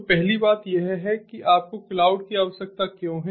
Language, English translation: Hindi, so the first thing is that: why do you need cloud